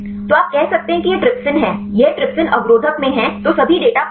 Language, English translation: Hindi, So, you can say this is a trypsin this in trypsin inhibitor then get all the data